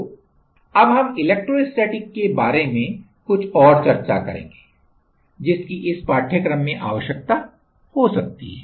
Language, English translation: Hindi, So, now we will discuss a little more about the electrostatics which may be required for this particular course